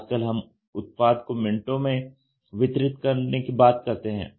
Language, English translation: Hindi, Today we talk about product delivery in minutes